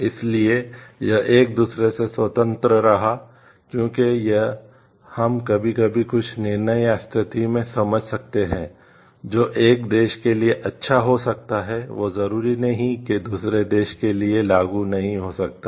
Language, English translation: Hindi, So, this kept independent of each other, because this we can understand sometimes some decisions or situation also, which may hold good for one country may not be applicable for the other country